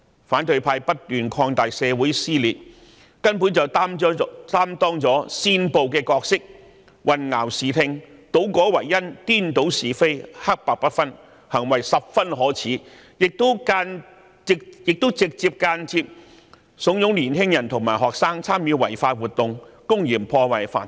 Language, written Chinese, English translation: Cantonese, 反對派不斷擴大社會撕裂，根本擔當了煽暴的角色，他們混淆視聽，倒果為因，顛倒是非，黑白不分，行為十分可耻，亦直接或間接慫恿年青人和學生參與違法活動，公然破壞法治。, They obscure the facts and confound cause and consequence right and wrong and black and white . Their behaviour is very much despicable . They directly or indirectly fool young people and students into participating in illegal activities and blatantly undermine the rule of law